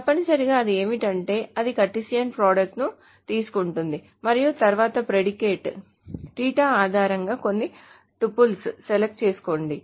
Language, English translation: Telugu, So essentially what it does is it takes the Cartesian product and then select certain tuples based on the predicate theta